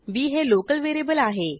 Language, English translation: Marathi, b is a local variable